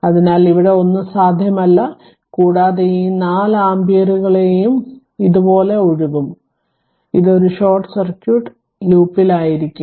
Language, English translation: Malayalam, So, nothing there is nothing able here and all this 4 ampere will be flowing like this it will be in a short circuit loop right